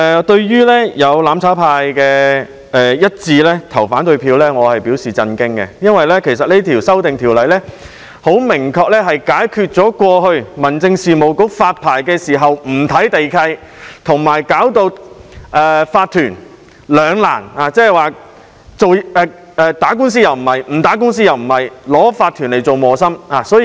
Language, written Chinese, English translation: Cantonese, 對於"攬炒派"議員一致投反對票，我表示震驚，因為有關修訂能夠明確地解決過去民政事務局發牌時不看地契，令業主立案法團陷入兩難——究竟打官司，還是不打官司——成為磨心的問題。, I would say it came as a shock that Members of the mutual destruction camp unanimously cast opposing votes on the Bill because the amendments concerned can precisely resolve the quandary―to go to or not to go to court―faced by owners corporations OCs which have become the meat in the sandwich as a result of the Home Affairs Bureaus practice of issuing licences without referring to land leases